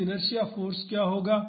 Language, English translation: Hindi, So, what does inertia force